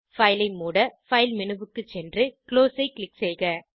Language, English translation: Tamil, Go to File menu, select Close to close the file